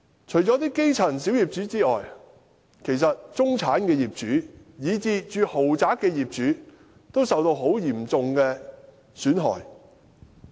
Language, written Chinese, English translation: Cantonese, 除了基層小業主之外，其實中產業主，以至住在豪宅的業主，亦蒙受嚴重的損失。, Apart from minority owners at the grass - roots level actually middle - class owners as well as owners of luxury flats have also suffered serious losses